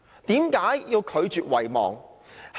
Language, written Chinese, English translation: Cantonese, 為何要拒絕遺忘？, Why should we refuse to forget?